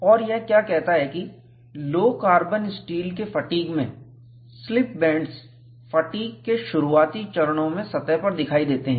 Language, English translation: Hindi, And this is what it says, 'in fatigue of low carbon steel, slip bands appear on the surface, in the early stages of fatigue'